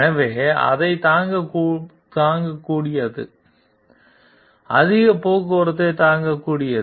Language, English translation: Tamil, So, it is able to withstand that, it is able to withstand heavy traffic